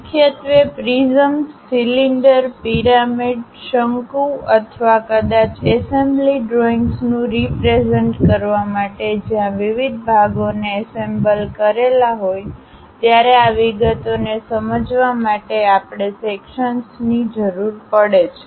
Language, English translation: Gujarati, Mainly to represents prisms, cylinders, pyramids, cones or perhaps assembly drawings where different parts have been assembled, joined together; to understand these intricate details we require sections